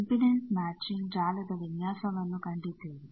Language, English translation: Kannada, We have seen the design of impedance matching network